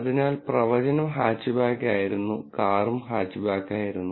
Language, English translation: Malayalam, So, the prediction was Hatchback and the car was also Hatchback